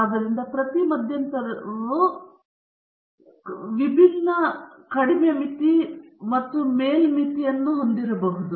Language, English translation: Kannada, So, each interval may have different lower limit and upper limit